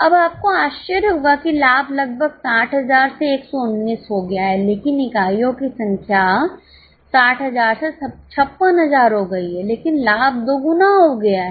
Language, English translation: Hindi, Now you will be surprised that profit has almost doubled from 60,000 to 119 but the number of units have gone down from 60,000 to 56,000 but profit has doubled